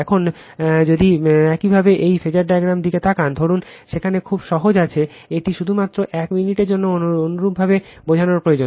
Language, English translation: Bengali, Now, if you look in to this phasor diagram, suppose there is there is very simple it is just a minute only understanding you require